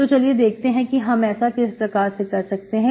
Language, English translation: Hindi, So let us see how we do this